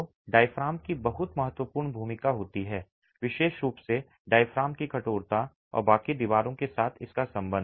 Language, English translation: Hindi, So, diaphragm has a very important role to play, particularly the stiffness of the diaphragm and its connections with the rest of the walls